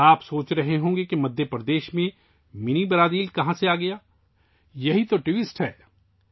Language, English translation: Urdu, You must be thinking that from where Mini Brazil came in Madhya Pradesh, well, that is the twist